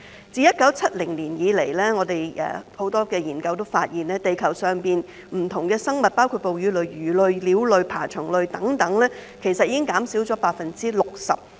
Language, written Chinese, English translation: Cantonese, 自1970年以來，很多研究都發現地球上不同的生物，包括哺乳類、魚類、鳥類、爬蟲類等，已經減少了 60%。, Since 1970 many studies have revealed that populations of various species on Earth including mammals fish birds and reptiles have declined by 60 %